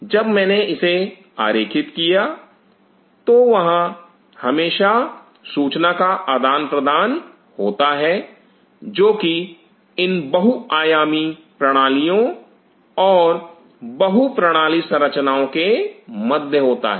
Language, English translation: Hindi, Just when I drew this, so there is always information exchange which is taking place between these multisystem systems, multi system structures